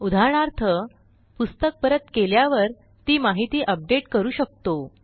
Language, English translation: Marathi, For example, when a member returns a book, we can update this information